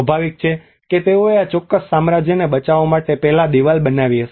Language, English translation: Gujarati, Obviously they might have built a wall before in order to protect this particular kingdom